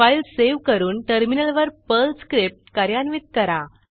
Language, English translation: Marathi, Save the file and execute the Perl script on the Terminal